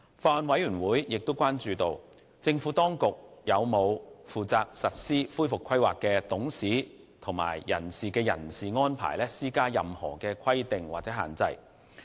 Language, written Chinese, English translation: Cantonese, 法案委員會亦關注到，政府當局有否對負責實施恢復規劃的董事及人士的人事安排施加任何規定或限制。, The Bills Committee has expressed concerns whether there are any requirements or restrictions imposed on directors or persons who are responsible for implementing the recovery plan